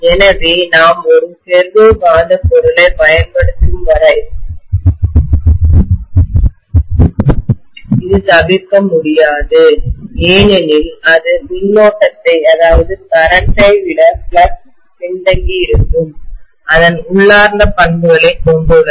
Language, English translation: Tamil, So this is unavoidable as long as we use a ferromagnetic material because it has its inherent property of flux lagging behind the current